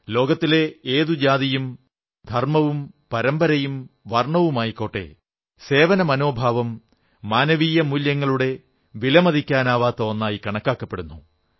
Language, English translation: Malayalam, Be it any religion, caste or creed, tradition or colour in this world; the spirit of service is an invaluable hallmark of the highest human values